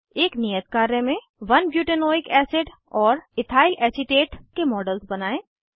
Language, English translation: Hindi, As an assignment * Create models of 1 butanoic acid and ethylacetate